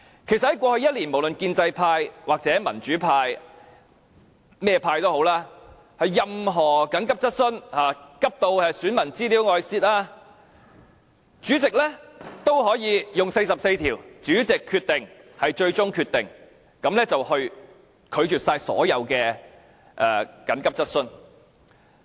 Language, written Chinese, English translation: Cantonese, 事實上，在過去一年，無論是建制派、民主派或甚麼派，任何急切質詢，例如緊急如市民資料外泄，主席也可以引用《議事規則》第44條"主席決定為最終決定"，拒絕所有急切質詢。, Last year actually all urgent questions no matter proposed by the pro - establishment camp the pan - democratic camp or other political parties on cases of emergency like the leakage of personal data of citizens were rejected by the President through invoking RoP 44 Decision of Chair Final